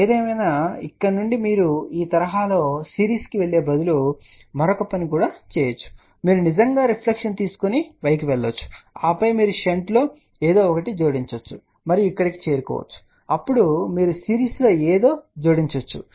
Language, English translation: Telugu, However, from here you can also do another thing instead of going in series like this you can actually take a reflection go to y and then you can add something in shunt and then reach over here then you add something in series